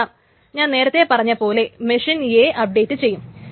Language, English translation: Malayalam, Because suppose the copy in machine A has been updated